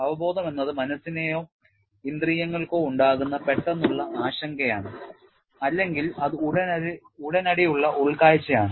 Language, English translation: Malayalam, Intuition is immediate apprehension by the mind or by a sense or it is an immediate insight